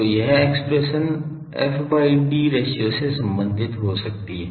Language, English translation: Hindi, So, this expression can be related to f by d ratio